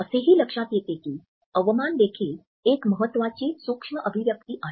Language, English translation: Marathi, We find that contempt is also an important micro expression